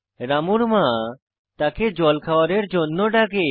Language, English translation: Bengali, Ramus mother calls him for breakfast